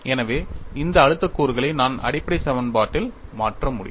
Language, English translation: Tamil, So, I can substitute these stress components in the basic equation